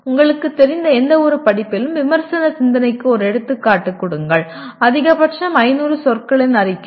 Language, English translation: Tamil, And give an example of critical thinking in any of the courses you are familiar with, maximum 500 words statement